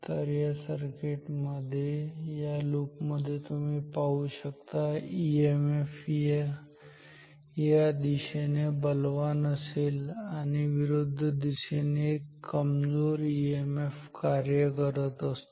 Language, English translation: Marathi, So, in this circuit in this loop you will see that there is a strong EMF acting in this direction and a weak EMF acting in the opposite direction